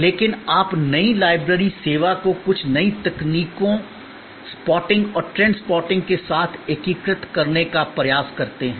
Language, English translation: Hindi, But, you try to integrate the new library service with some new technologies spotting and trend spotting